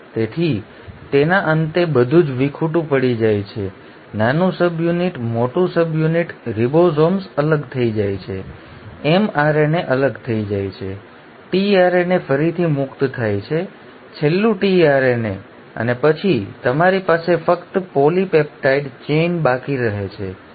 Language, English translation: Gujarati, So at the end of it everything gets dissociated, the small subunit, the large subunit, the ribosomes come apart, the mRNA comes apart, the tRNA becomes free again, the last tRNA and then you are left with just the polypeptide chain